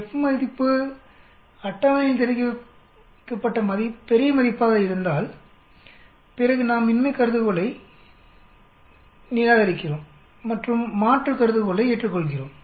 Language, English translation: Tamil, The F value calculated is greater than the F table then we reject the null hypothesis and accept the alternate hypothesis